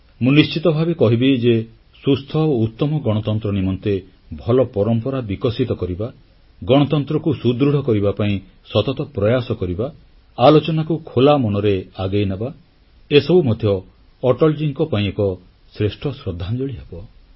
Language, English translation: Odia, I must say that developing healthy traditions for a sound democracy, making constant efforts to strengthen democracy, encouraging openminded debates would also be aappropriate tribute to Atalji